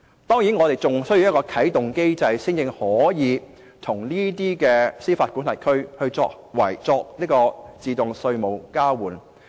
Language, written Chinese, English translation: Cantonese, 當然，我們還需要啟動機制，才可以與這些司法管轄區作自動稅務交換。, Of course we still need to activate the mechanism before we can automatically exchange tax information with these jurisdictions